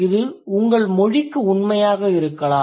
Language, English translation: Tamil, Find out if it holds true for your language or not